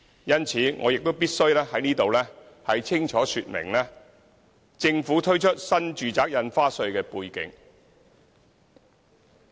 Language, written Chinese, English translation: Cantonese, 因此，我必須在此清楚說明政府推出新住宅印花稅的背景。, Therefore I must clearly provide the background of introducing NRSD by the Government